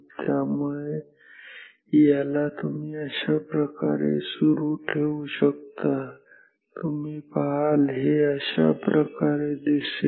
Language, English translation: Marathi, So, this you can continue yourself, you will see this will look like this